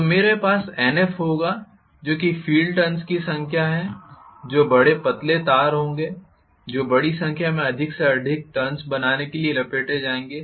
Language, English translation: Hindi, So I am going to have Nf that is the number of field turns will be large thin wire which will be wound over and over to make huge number of turns